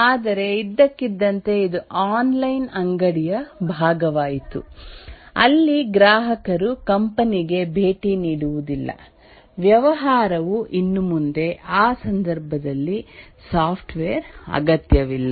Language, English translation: Kannada, But suddenly it became part of an online store where customers don't visit the company, the business anymore